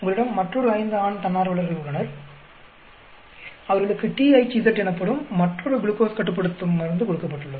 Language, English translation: Tamil, You had a another five male volunteers given other glucose controlling drug THZ